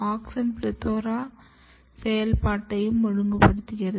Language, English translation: Tamil, Auxin is also regulating the activity of PLETHORA’S